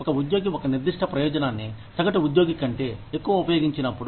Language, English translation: Telugu, When an employee uses a specific benefit, more than the average employee does